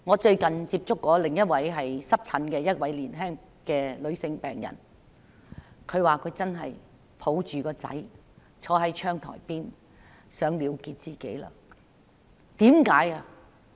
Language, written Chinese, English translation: Cantonese, 最近，我接觸過另一位患濕疹的年輕女病人，她說她抱着兒子坐在窗台邊時想了結自己。, Recently I met another young female patient with eczema . She said she had thought about ending her life while holding her son on the window sill